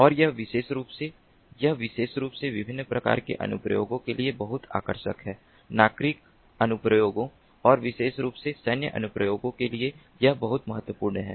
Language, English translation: Hindi, and this particular, this particularly, is very much attractive for different types of applications, civilian applications and particularly for military applications